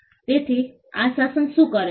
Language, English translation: Gujarati, So, what does this regime do